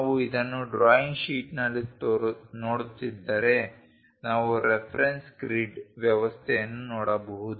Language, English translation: Kannada, If we are looking at this on the drawing sheet we can see a reference grid system